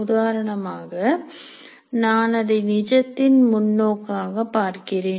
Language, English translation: Tamil, For example, I can look at it from factual perspective